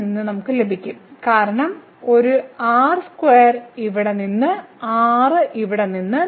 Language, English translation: Malayalam, So, here we will get because one r square from here from here